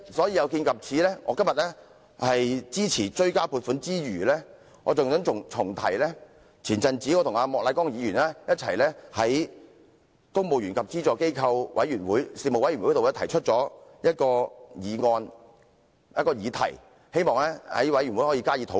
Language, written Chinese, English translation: Cantonese, 有見及此，我今天除了支持《條例草案》外，還想重提早前我與莫乃光議員一同在公務員及資助機構員工事務委員會上提出的一項議題，希望事務委員會能加以討論。, In light of this apart from supporting the Bill today I wish to mention again a topic jointly raised by me and Mr Charles Peter MOK earlier for discussion in the Panel on Public Service the Panel